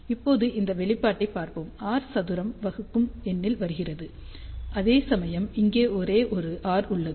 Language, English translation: Tamil, Now, let just look at this expression here r square is coming in the denominator, whereas there is a only one r over here